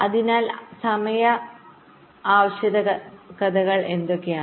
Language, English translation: Malayalam, so what are the timing requirements